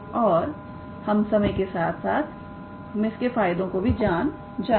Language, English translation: Hindi, And we will see what are its benefits over the time